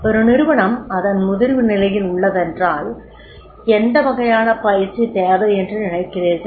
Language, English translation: Tamil, If organization at the maturity level do you think any type of training is required